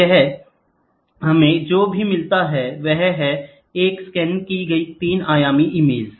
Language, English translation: Hindi, So, here what we get is, a scanned image 3 dimensionally